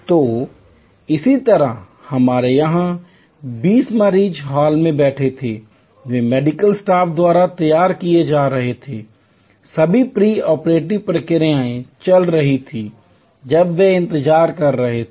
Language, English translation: Hindi, So, similarly here we had 20 patients seated in the hall way, they were getting prepared by the medical staff, all the pre operative procedures were going on while they were waiting